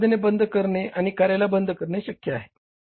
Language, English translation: Marathi, So, closing down and suspending of the activities is possible